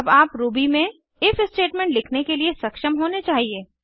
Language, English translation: Hindi, You should now be able to write your own if statement in Ruby